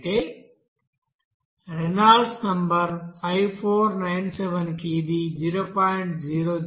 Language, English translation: Telugu, Whereas for Reynolds number 5497 it is coming 0